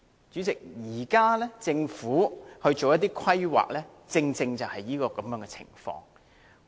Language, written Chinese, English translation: Cantonese, 主席，現時政府作出規劃時，正是這樣的情況。, President this is the case when it comes to planning by the Government